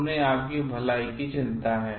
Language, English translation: Hindi, They are concerned about your wellbeing